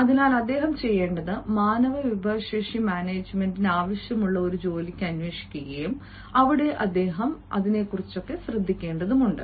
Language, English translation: Malayalam, so what he will do is he will look for a job where human resource management is required, where he has to look after hrm isnt it